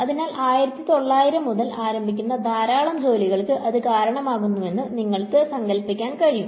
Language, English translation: Malayalam, So, you can imagine that that would have led to a lot of work starting from the 1900s